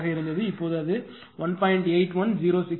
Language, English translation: Tamil, 89, now it is 1